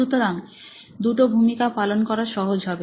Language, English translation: Bengali, So, you will have to do two roles